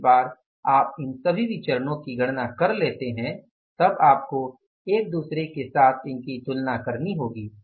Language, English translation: Hindi, Once you calculate all these variances, you have to now compare these variances with each other